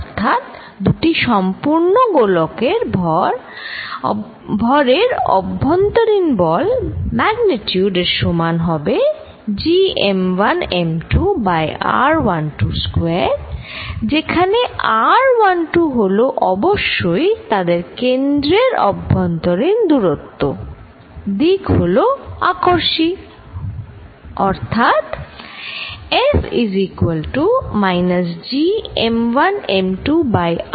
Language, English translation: Bengali, So, the force between two perfectly spherical masses, the magnitude will be equal to G m 1 m 2 over r 1 2 square, where r 1 2 is the distance between their centers and of course, the directions is attractive, so this one